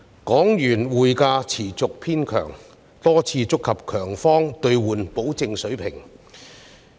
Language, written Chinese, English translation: Cantonese, 港元匯價持續偏強，多次觸及強方兌換保證水平。, The exchange rate of the Hong Kong dollar continued to hold firm repeatedly hitting the strong - side Convertibility Undertaking